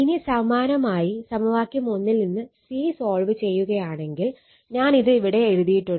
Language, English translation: Malayalam, Similarly, from equation one solve for c this is I have written, but I suggest you to solve